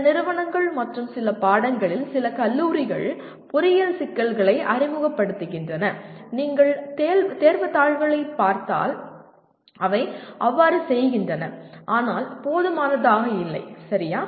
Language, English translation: Tamil, Some institutions and some colleges in some subjects they do pose engineering problems in the if you look at the examination papers, they do so but not adequate, okay